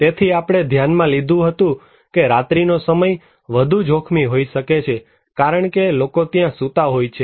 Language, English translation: Gujarati, So, we considered that night time may be more risky because people are sleeping there